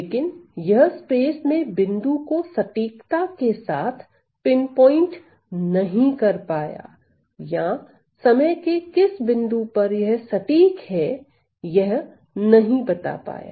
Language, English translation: Hindi, You know, but it is not able to pinpoint with accuracy at what point in space or what point in time this accuracy occurs